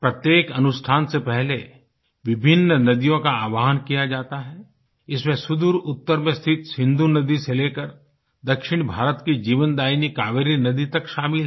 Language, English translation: Hindi, The various rivers in our country are invoked before each ritual, ranging from the Indus located in the far north to the Kaveri, the lifeline of South India